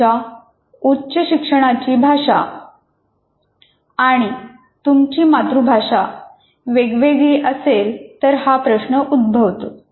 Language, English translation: Marathi, This is a problem where the language in which you do your higher education is not the same as your